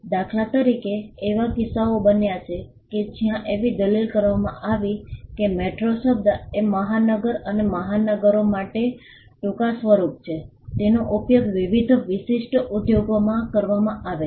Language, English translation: Gujarati, For instance, there has been cases where it has been argued that the word metro which is a short form for metropolis or metropolitan has been used in various distinct industries